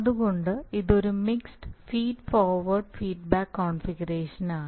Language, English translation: Malayalam, So that is why it is a mixed feedback feed forward structure